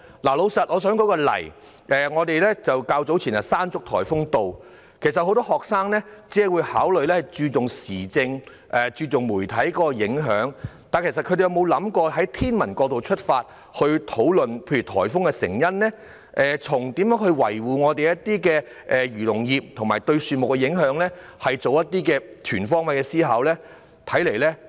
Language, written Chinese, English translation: Cantonese, 我想舉出一個例子：早前颱風山竹襲港，很多學生只關注颱風對政府施政和媒體的影響，但他們有否作出過全方位思考，例如從天文角度出發討論颱風的成因，或是討論如何維護漁農業，或是討論颱風對樹木的影響呢？, I would like to give an example . When Typhoon Mangkhut hit Hong Kong many students were only concerned about its impact on public administration and the media . Did they consider the situation with all - round thinking such as about the astronomical causes of the typhoon ways to maintain the agriculture and fisheries industries or the impact of the typhoon on trees?